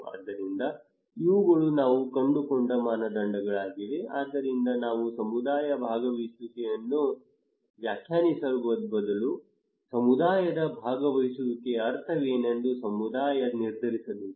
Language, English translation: Kannada, So these are the criterias we found so therefore instead of we define the community participations it should be from the community who would decide that what is the meaning of community participation